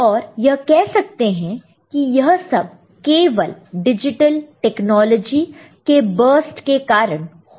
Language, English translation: Hindi, All are happening it is because of this I would say, the burst of digital technology